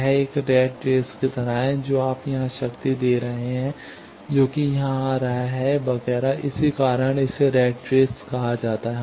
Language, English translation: Hindi, It is like a rat racing that you are giving power here that is coming here etcetera that is why it is called Rat Race